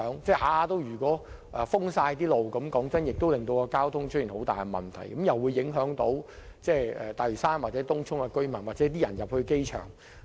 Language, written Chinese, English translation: Cantonese, 假如每次都全線封路，坦白說，這會令交通出現嚴重問題，亦會影響大嶼山或東涌的居民，以及前往機場的市民。, Frankly speaking frequent full closures will seriously affect road traffic as well as residents in Lantau and Tung Chung and people heading to the airport